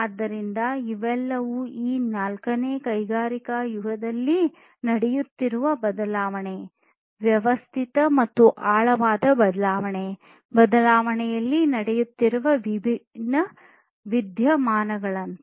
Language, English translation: Kannada, So, these are all like different phenomena that are happening in terms of change, systematic and profound change that are happening in this fourth industrial age